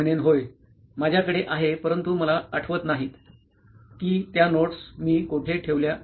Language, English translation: Marathi, I’ll be like yes, I have but I am not able to recollect, I am not able to remember where I kept those notes